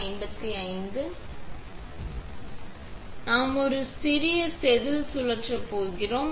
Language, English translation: Tamil, Next, we are going to spin a small wafer